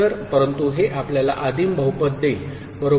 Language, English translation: Marathi, So, but this will give you a primitive polynomial, right